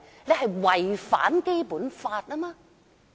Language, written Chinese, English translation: Cantonese, 他們違反了《基本法》。, They have violated the Basic Law